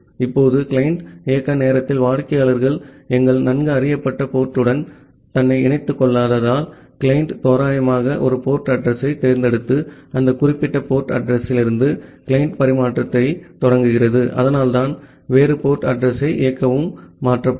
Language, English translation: Tamil, Now, at the client side as the client do not bind itself to our well known port during the runtime, the client randomly chooses one port address and initiate the client transfer from that particular port address, so that is why a different run the port address gets changed